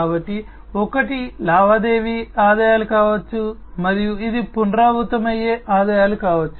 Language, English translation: Telugu, So, one could be the transaction revenues, and this could be the recurring revenues